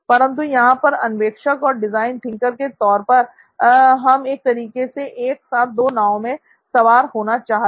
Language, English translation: Hindi, But here as innovators, as design thinkers, we are sort of want to have the cake and eat it too